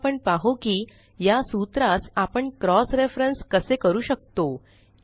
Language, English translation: Marathi, Let us now see how we can cross reference these formulae